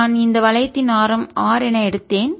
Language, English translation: Tamil, this is the force due to this ring that i took of radius r